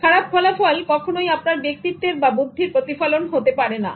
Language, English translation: Bengali, Poor performance is not a reflection of one's personality or intelligence